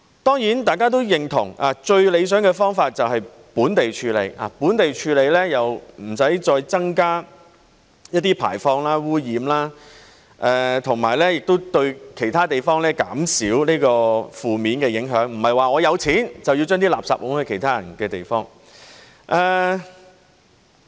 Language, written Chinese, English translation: Cantonese, 當然，大家都認同，最理想的方法就是本地處理，本地處理無須再增加排放和污染，亦對其他地方減少負面影響，不是有錢便可將垃圾推到其他人的地方。, Does the Department have appropriate measures to deal with it? . Of course as we all agree it is most desirable for such waste to be handled locally for this will not further increase emissions and pollution and will reduce the adverse impacts on other places . It is not right to dump our waste in other peoples places simply because we have the money to do so